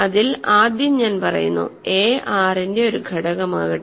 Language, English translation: Malayalam, So, first I will say that and let a be an element of R ok